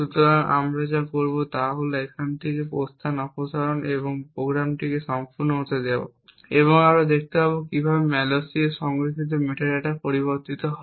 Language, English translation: Bengali, So, what we will do is remove the exit from here and let the program run to completion and we would see how the metadata stored in the malloc changes